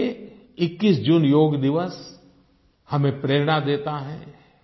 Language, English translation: Hindi, And for this, the International Yog day on 21st June gives us the inspiration